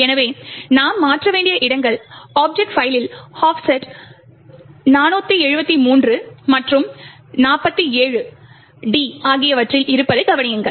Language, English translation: Tamil, So, notice that the locations which we need to modify is at an offset 473 and 47d in the object file